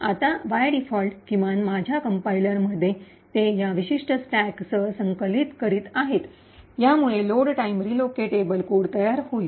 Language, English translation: Marathi, Now, by default at least in my compiler, yes in this compiler by default compiling it with this particular syntax will create a load time relocatable code